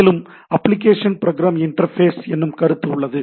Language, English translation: Tamil, And there is concept of Application Program Interface